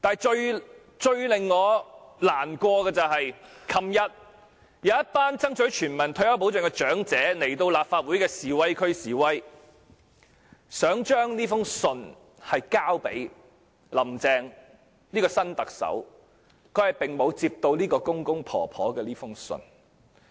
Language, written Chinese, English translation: Cantonese, 最令我感到難過的是，昨天有一群爭取全民退休保障的長者來到立法會的示威區示威，希望把信件交給新特首，但她沒有接過公公婆婆的這封信。, What saddened me most is that yesterday a group of elderly people fighting for universal retirement protection came to the demonstration area of the Legislative Council to stage a protest . They wished to give a letter to the new Chief Executive but she did not take this letter from the elderly . This group of elderly people had travelled a long way to come here